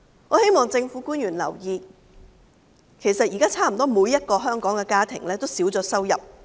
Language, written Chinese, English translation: Cantonese, 我希望政府官員留意，其實現在差不多每個香港家庭均已少了收入。, I hope the government officials will notice that currently almost every household in Hong Kong has got less income